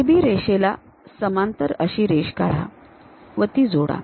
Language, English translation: Marathi, Draw a parallel line to AB line connect it